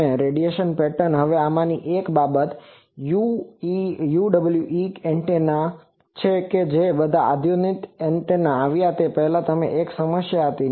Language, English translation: Gujarati, And the radiation pattern, now one of the thing is all this UWE antennas they had one problem before all these modern antennas came that